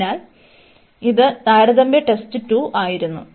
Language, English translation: Malayalam, So, this was the comparison test 2